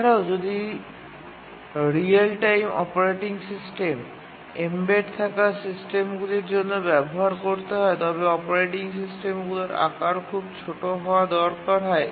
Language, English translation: Bengali, Also, if the real time operating system is to be used for embedded systems, then the size of the operating system, sometimes called as the footprint of the operating system, needs to be very small